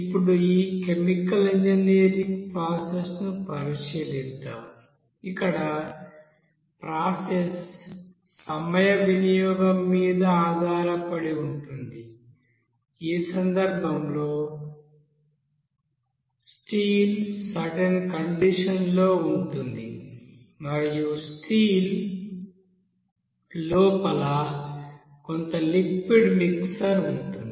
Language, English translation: Telugu, Now let us consider this chemical engineering process where we will see that the process will be based on you know time consumption like in this case here one steel at a you know that certain condition and inside this steel some amount of you know liquid mixture